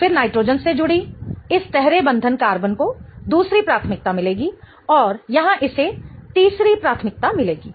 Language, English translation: Hindi, Then this triple bonded carbon attached to the nitrogen will get the second priority and this one here will get the third priority